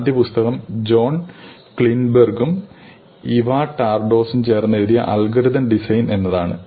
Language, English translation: Malayalam, The first book is called ÒAlgorithm designÓ by Jon Kleinberg and Eva Tardos